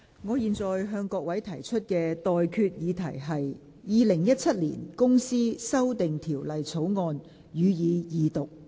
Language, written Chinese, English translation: Cantonese, 我現在向各位提出的待決議題是：《2017年公司條例草案》，予以二讀。, I now put the question to you and that is That the Companies Amendment Bill 2017 be read the Second time